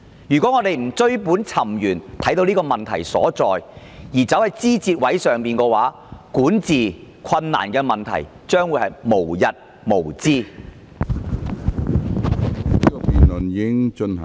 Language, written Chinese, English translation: Cantonese, 如果我們不追本尋源以看出問題所在，卻着眼於枝節，管治困難的問題日後將會無日無之。, If we do not get to the root of the matter to see where the problem lies but focus on the side issues instead the problem of difficulties in governance will never end in future